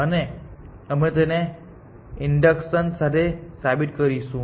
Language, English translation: Gujarati, And we will this proof by induction